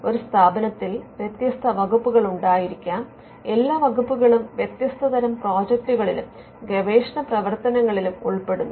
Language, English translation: Malayalam, In an institution may have different departments, all involving in different kinds of projects and research work